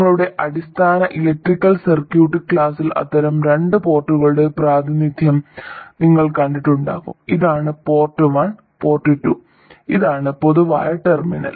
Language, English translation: Malayalam, You would have seen representations of such a two port in your basic electrical circuits class and this is port one, port two and this is the common terminal